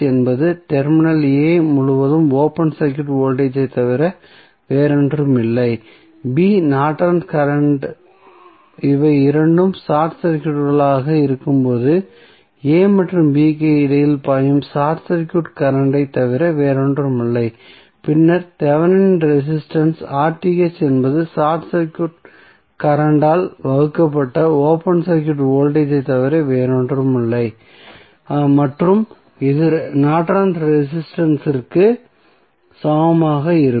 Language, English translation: Tamil, We get V Th is nothing but open circuit voltage across the terminal a, b Norton's current is nothing but short circuit current flowing between a and b when both are short circuited and then R Th that is Thevenin resistance is nothing but open circuit voltage divided by short circuit current and this would be equal to Norton's resistance